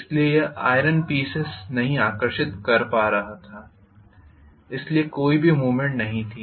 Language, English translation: Hindi, So it was not able to attract the other piece of iron, so there was no movement at all